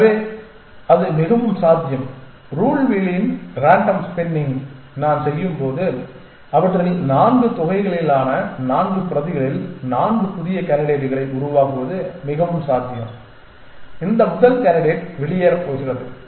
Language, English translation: Tamil, So, it is very likely that when I do this random spinning of the rule wheel and produce 4 new candidates out of 4 copies of sum 4 of these it is very likely that this first candidate is going to be left out